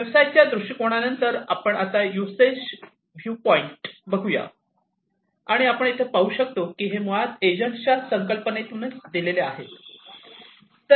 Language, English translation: Marathi, So, let us now after the business viewpoint look at the usage viewpoint and as we can see over here it is basically guided through the concept of the agents